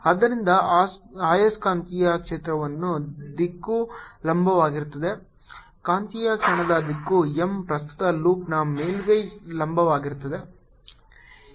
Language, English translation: Kannada, direction of magnetic moment m is perpendicular to the surface of the current loop